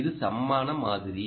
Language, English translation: Tamil, this is the equivalent model